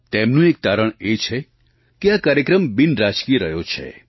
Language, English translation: Gujarati, One of their findings was that, this programme has remained apolitical